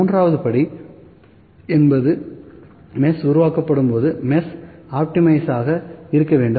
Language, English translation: Tamil, The 3rd step could be when the mesh is generated will to optimize the mesh